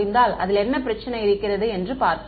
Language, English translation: Tamil, We will see what is the problem in that right